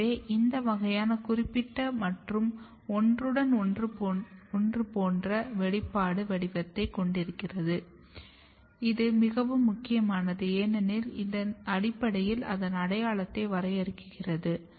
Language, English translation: Tamil, So, you can have this kind of specific and overlapping expression pattern and this is very important because their interaction their overlap basically defines the identity